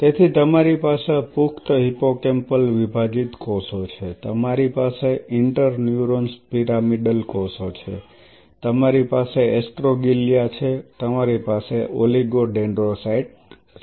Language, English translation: Gujarati, So, you have adult hippocampal dissociated cells you have pyramidal cells interneurons you have astroglia you have oligodendrocyte